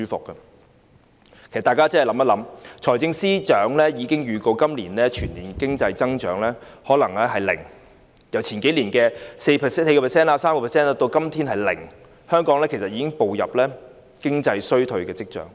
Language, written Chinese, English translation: Cantonese, 其實大家思考一下，財政司司長已經預告今年的全年經濟增長可能是零，由數年前的 4%、3% 跌至今天的百分之零，香港已經出現步入經濟衰退的跡象。, In fact let us ponder over it . The Financial Secretary has already predicted that the economic growth of the whole of this year may be zero dropping from 4 % or 3 % several years ago to zero nowadays . Hong Kong has already shown signs of slipping into an economic recession